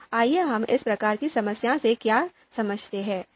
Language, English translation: Hindi, So let’s understand what we mean by this kind of this type of problem